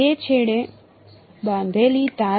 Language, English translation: Gujarati, string tied at two ends